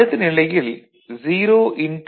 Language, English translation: Tamil, It is 0